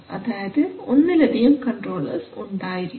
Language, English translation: Malayalam, So you may have more than one control law